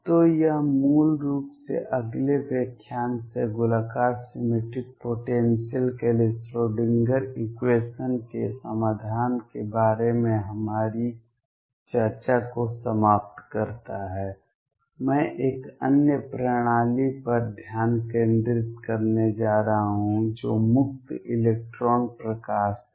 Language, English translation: Hindi, So, this concludes basically our discussion of solution of the Schrödinger equation for spherically symmetric potentials from next lecture onwards, I am going to concentrate on another system which is free electron light